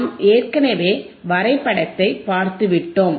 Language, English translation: Tamil, We have already seen the graph